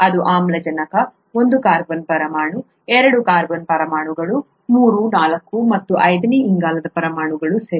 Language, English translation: Kannada, This is an oxygen, one carbon atom, two carbon atoms, three, four and the fifth carbon atoms here, okay